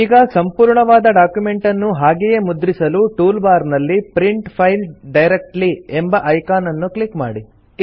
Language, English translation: Kannada, Now, to directly print the entire document, click on the Print File Directly icon in the tool bar